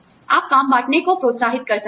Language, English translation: Hindi, You could, encourage job sharing